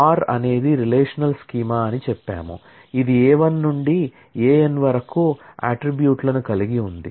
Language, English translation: Telugu, So, we said R is a relational schema, which has attributes A 1 to A n